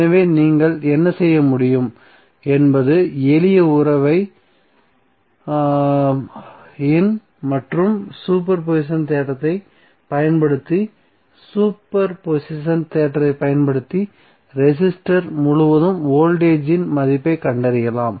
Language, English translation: Tamil, So what you can do you can use simple relationship is IR and using super position theorem you can find out the value of voltage across resistor using super position theorem